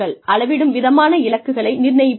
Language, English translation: Tamil, You assign measurable goals